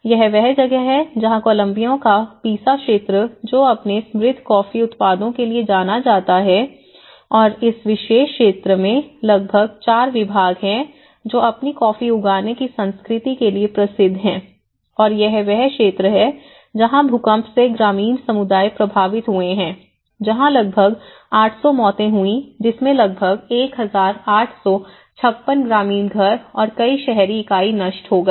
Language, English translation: Hindi, That is where, this Paisa region of Colombia which is known for its rich coffee products and there are about 4 departments in this particular region which famous for its coffee growing culture and even this they have been affected by the earthquake the rural communities have been affected that’s about 800 deaths which has destroyed about 1,856 rural houses and many more urban units